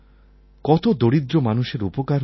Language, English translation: Bengali, A lot of the poor have been benefitted